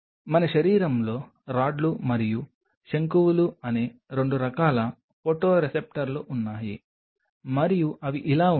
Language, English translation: Telugu, There are 2 kinds of photoreceptors in our body the Rods and the Cones and they look like this